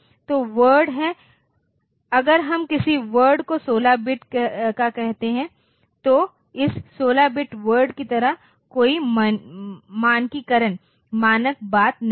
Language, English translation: Hindi, So, word is if we call a word to be 16 bit of course, there is no standardization, standard thing like this 16 bit word